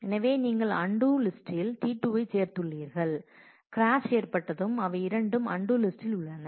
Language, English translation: Tamil, So, you have added T 2 to the undo list and when the crash has happened both of them are on the undo list